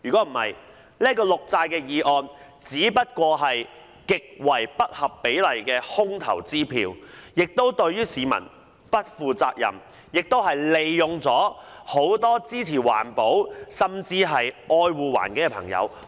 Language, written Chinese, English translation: Cantonese, 否則，這項綠債決議案只是一張極為不合比例的空頭支票，對市民不負責任，也利用了很多支持環保、愛護環境的朋友。, Otherwise this green bond resolution is merely a disproportionate bad cheque which is not a responsible attitude towards the public and a manipulation of people who support environmental protection